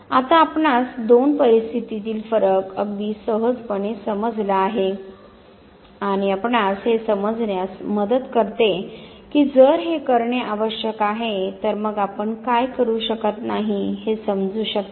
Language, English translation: Marathi, Now you very easily understand the contrast between the two situation and this helps you understand that if this constitutes the do's then you can understand what the don'ts constitute of